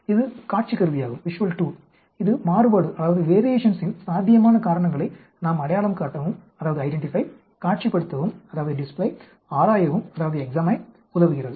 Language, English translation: Tamil, It is visual tool that enables us to identify, display, examine possible causes of variation